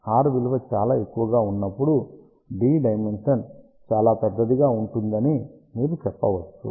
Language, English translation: Telugu, So, you can say that r will be very large when the dimension d is very large